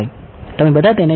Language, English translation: Gujarati, You all know it